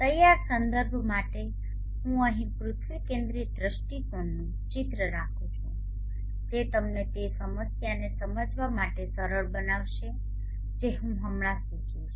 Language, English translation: Gujarati, For ready reference I am keeping here the picture of the earth centric view point that will make you easy to understand the problem that I will be suggesting right now